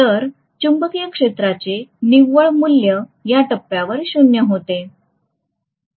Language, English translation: Marathi, So the net value of magnetic field becomes 0 at this point